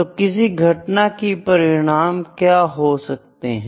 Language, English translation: Hindi, So, what is the outcome of an event